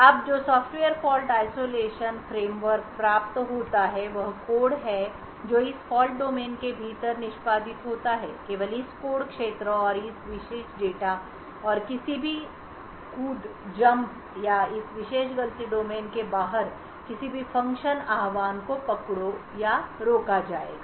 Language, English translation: Hindi, Now what the Software Fault Isolation framework achieves is that code that is executing within this fault domain is restricted to only this code area and this particular data and any jumps or any function invocation outside this particular fault domain would be caught or prevented